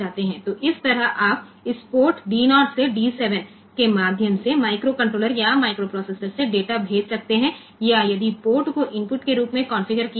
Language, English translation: Hindi, So, that way you can send the data from microcontroll, or microprocessor through this D 0 to D 7 to that port, or if a port is configured as input port